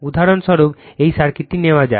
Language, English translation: Bengali, For example, for example, say take this circuit